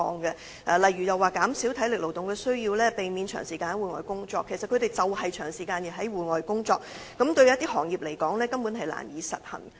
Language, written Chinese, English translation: Cantonese, 舉例來說，指引建議減少體力勞動和避免長時間在戶外工作，但建造業工人正正需要長時間在戶外工作，這些指引對某些工種而言根本難以實行。, For instance it is suggested in the guidelines that workers should minimize physical demands and avoid long hours of outdoor work but working outdoor for long hours is actually part of the job of construction workers and the guidelines are not at all practicable for some trades